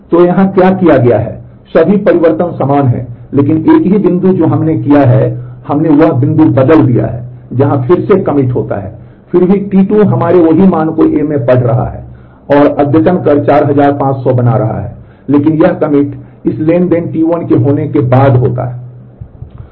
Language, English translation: Hindi, So, what has been done here that all the changes are the same, but the only point that we have done is we have changed the point where the commit happens again still the T 2 is reading the same value in our in a and is making the updates 4500, but the commit happens at a later point of time after the commit of this transaction T 1 has taken place